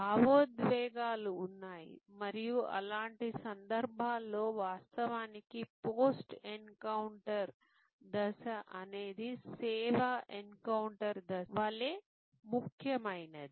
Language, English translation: Telugu, There are emotions involved and in such cases, actually the post encounter stage is as important as the service encounter stage